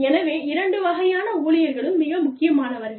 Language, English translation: Tamil, So, both kinds of employees, are very important